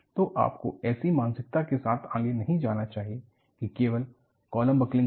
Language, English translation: Hindi, So, you should not go with the mental picture that, only columns will be buckled